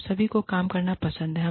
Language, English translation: Hindi, And, everybody loves going to work